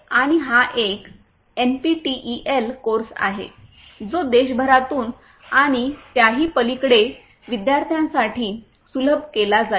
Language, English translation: Marathi, And this is an NPTEL course which is going to be made accessible to students from all over the country and even beyond